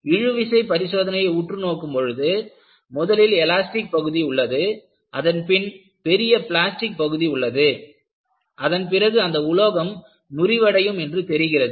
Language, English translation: Tamil, The focus on the tension test was, you have an elastic region, followed by a large plastic zone, then only the material fails